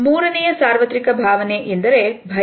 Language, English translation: Kannada, The third universal emotion is that of fear